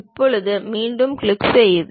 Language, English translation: Tamil, Now, click again